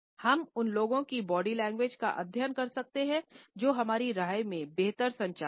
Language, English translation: Hindi, At the same time, we can study the body language of those people who in our opinion are better communicators